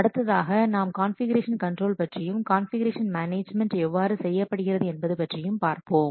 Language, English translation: Tamil, Next we will see about configuration control